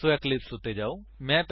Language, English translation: Punjabi, So, switch to Eclipse